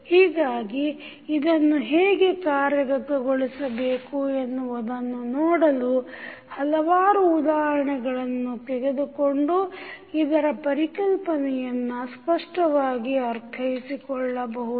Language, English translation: Kannada, So, to see how we can implement this we will take couple of example so that you can understand this concept very clearly